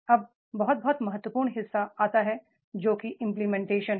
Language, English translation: Hindi, Now, there comes the very very important part that is the implementation